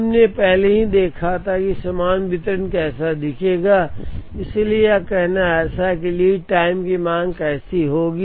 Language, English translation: Hindi, We had already seen how the uniform distribution will look like; so it is like saying this is how the lead time demand will look like